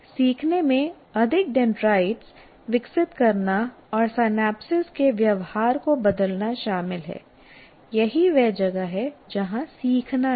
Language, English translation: Hindi, The learning is consists of growing more dendrites and changing the what do you call behavior of the synapse